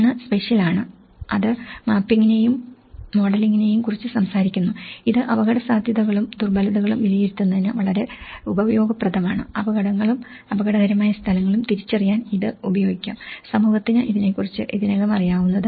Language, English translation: Malayalam, One is the spatial, which is talking about the mapping and modelling, this is very useful in risk and vulnerability assessment, it can be used to identify hazards and dangerous locations, what community already know about this